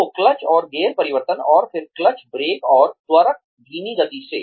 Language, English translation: Hindi, So, clutch and gear change and then, clutch, brake, and accelerator, at slow speed